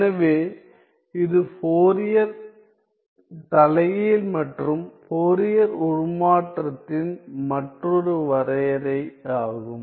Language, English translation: Tamil, So, that is another definition of the Fourier inverse and the Fourier transforms